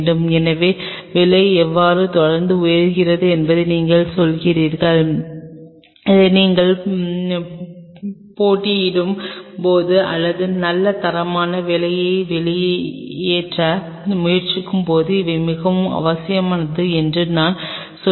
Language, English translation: Tamil, So, you are saying how the price is continuously jacking up and these are I am telling these are bare essential when you are competing or when you are trying to pull out really good quality work